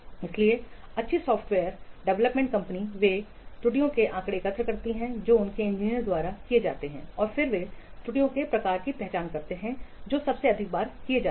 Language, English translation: Hindi, So the good software development companies, they collect the statistics of errors which are committed by their engineers and then they identify the types of errors most frequently committed